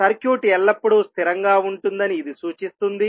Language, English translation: Telugu, This implies that the circuit is always stable